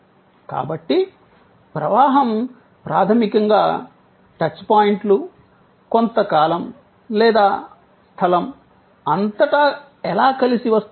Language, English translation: Telugu, So, flow is basically how the touch points come together over a period of time or across space